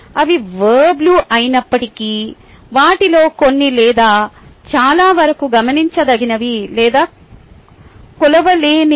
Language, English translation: Telugu, ah, even though they are verbs, some of them, or most of them, are not observable or measurable